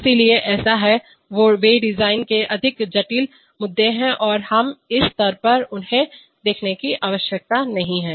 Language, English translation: Hindi, So, such are there, they are more complicated issues of design and we need not look at them at this stage